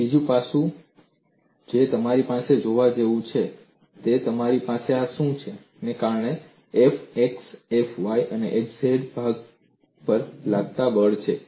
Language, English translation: Gujarati, And another aspect you have to look at, see what you have this is as F x, F y and F z are body forces